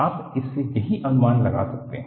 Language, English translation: Hindi, This is what you can anticipate